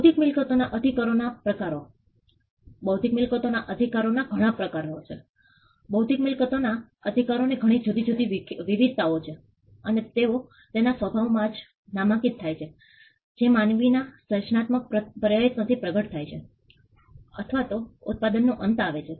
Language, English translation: Gujarati, Types of intellectual property rights intellectual property rights, there are many different varieties of intellectual property rights and they are distinguished by the nature of the product on which they manifested or the end product that comes out of human creative effort